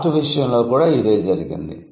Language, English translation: Telugu, Similar is the case with art